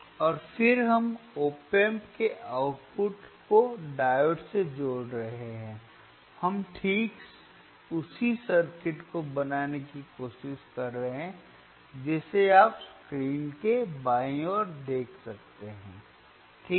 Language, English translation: Hindi, And then we are connecting the output of the op amp to the diode, we are exactly trying to make the same circuit which as which you can see on the left side of the screen alright